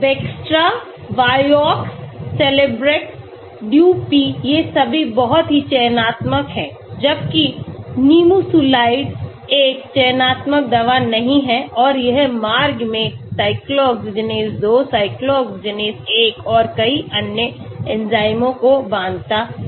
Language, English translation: Hindi, Bextra, Vioxx, Celebrex, DuP, these are all very selective whereas Nimesulide is not a selective drug and it goes and binds to cyclooxygenase 2, cyclooxygenase 1 and many other enzymes in the pathway